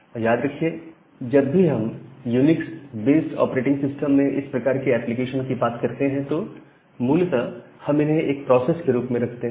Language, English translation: Hindi, And remember that whenever we talk about this kind of application in a UNIX based system, we basically represent it in the form of a process